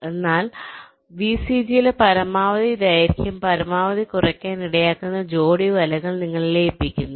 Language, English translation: Malayalam, ok, so you merge those pair of nets which will lead to the maximum reduction in the maximum length in vcg